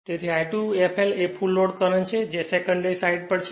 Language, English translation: Gujarati, So, I 2 f l is the full load current that is on the secondary side right